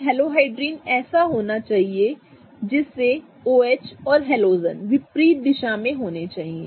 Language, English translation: Hindi, A halohydrin should be such that it can have the OH and the halogen going in opposite direction